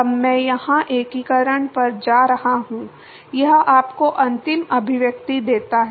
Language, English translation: Hindi, I am now going to the integration here, this give you the final expression